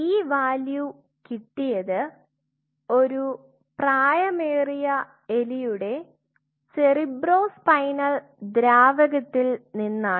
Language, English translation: Malayalam, So, this value has come from cerebrospinal fluid of an adult rat